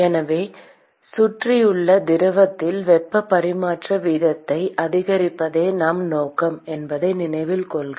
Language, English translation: Tamil, So, note that we purpose is to increase the heat transfer rate into the fluid which is surrounding